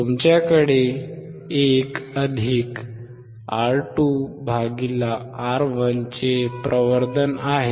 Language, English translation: Marathi, You have the amplification of 1 + (R2 / R1)